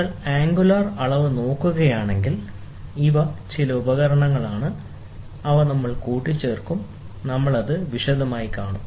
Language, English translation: Malayalam, If you look at the angular measurement, these are some of the devices, which we assemble we will go, we will see it in detail